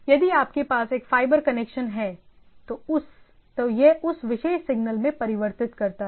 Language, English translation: Hindi, If you have a fiber connect, then it converts to that particular things